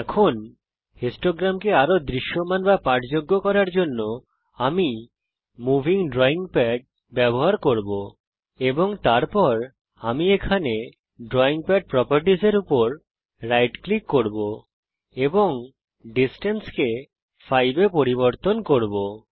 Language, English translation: Bengali, Now to make the histogram more visible or readable , I will use the move drawing pad.And then I will also right click on drawing pad properties here and change this distance to 5 which is the width of each bar and say close